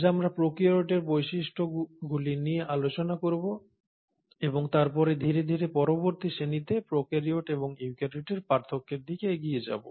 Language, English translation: Bengali, Today we will talk about the features of prokaryotes and then slowly move on in the next class to the differences between prokaryotes and eukaryotes